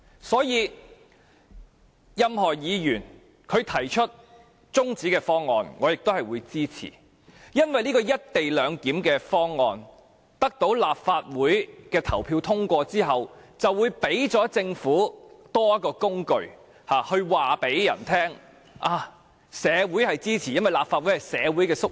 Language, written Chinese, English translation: Cantonese, 所以，不論任何議員提出中止待續議案，我也會支持，因為這項"一地兩檢"方案一旦獲得立法會表決通過，便會給予政府多一項工具，可以向別人宣稱社會也支持它的做法，因為立法會是社會的縮影。, Hence no matter which Member proposes a motion to adjourn the debate I will support it because once this co - location proposal is put to the vote and passed by the Legislative Council it will give the Government an additional handle to claim that it has the support of society since the Legislative Council is a miniature of society